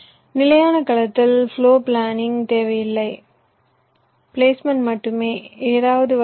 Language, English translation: Tamil, in standard cell, floor planning is not required, only placement placing something